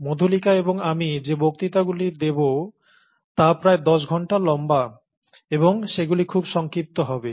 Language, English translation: Bengali, In other words, the lectures by us, Madhulika and I, would be about ten hours long, and they would be of much shorter duration